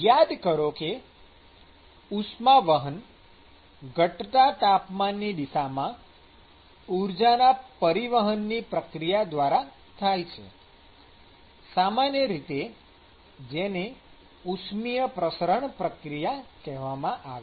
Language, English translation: Gujarati, So, we said that: the conduction occurs through the the process of energy transfer in the decreasing temperature direction is typically what is called as the thermal diffusion process